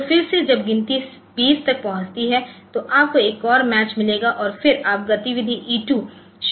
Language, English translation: Hindi, So, that again when the count reaches 20 so you will get another match and then you can start the activity E 2